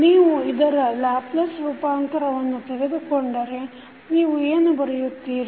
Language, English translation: Kannada, So, if you take the Laplace transform of this, what you can write